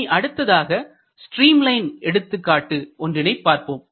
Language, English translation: Tamil, Let us look into a stream line example